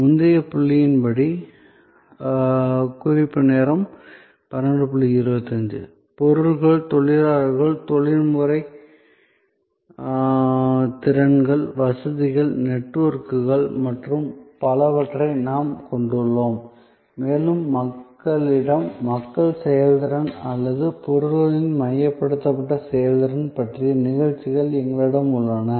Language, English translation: Tamil, ) we have all these and goods, labor, professional skills, facilities, networks and so on and we have performances on people to people performance and or goods focused performance